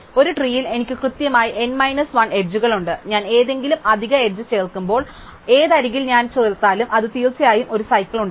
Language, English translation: Malayalam, So, in a tree I have exactly n minus 1 edges and when I add any extra edge, no matter which edge I add, it will definitely form a cycle